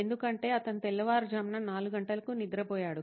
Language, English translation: Telugu, Because he has slept at 4 am in the morning